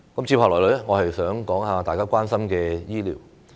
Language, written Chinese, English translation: Cantonese, 接下來我想談談大家關心的醫療。, Next let me talk about health care that people are all concerned about